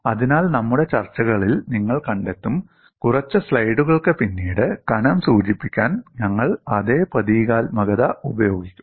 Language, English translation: Malayalam, So, you would find our discussion, we would use the same symbolism to denote the thickness which will come a few slides later